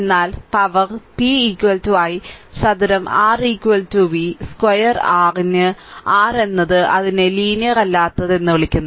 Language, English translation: Malayalam, But note that power p is equal to i square R is equal to v square upon R right it is it is your what you call it is non linear right